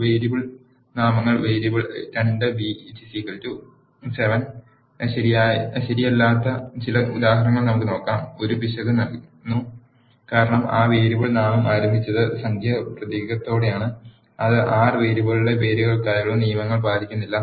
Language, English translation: Malayalam, Now, let us see some examples where the variable names are not correct the variable 2b is equal to 7, gives an error because that variable name has started with the numeric character which is not following the rules for the names of the variables in R